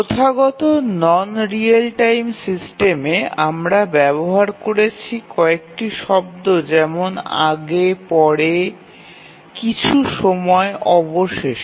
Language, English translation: Bengali, In a traditional non real time system we use terms like before, after, sometime, eventually